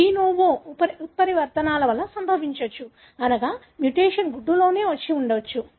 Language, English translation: Telugu, Can be caused by de novo mutations, meaning the mutation could have come in the egg itself